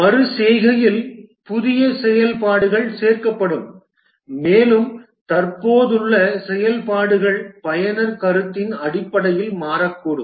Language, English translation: Tamil, In iteration, new functionalities will be added and also the existing functionalities can change based on the user feedback